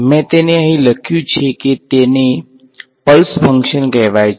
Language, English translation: Gujarati, I have written it over here it is what is called a pulse function